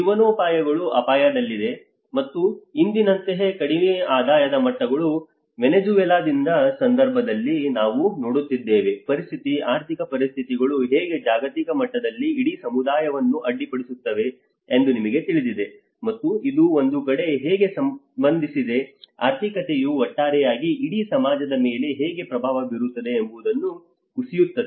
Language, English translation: Kannada, Livelihoods at risk and the low income levels like today we are looking case of Venezuela, how the situation, the financial situations have been you know disrupting the whole community in a global level, and it is also relating how even on one side when the economy falls down how it have impact on the whole society as a whole